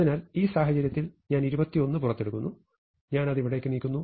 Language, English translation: Malayalam, So, in this case I take 21 out, and I move it here